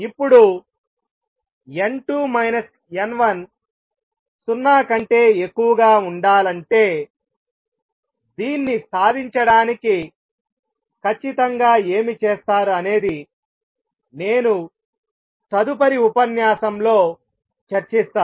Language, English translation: Telugu, Now what exactly is done to achieve this n 2 minus n 1 greater than 0, I will discuss in the next lecture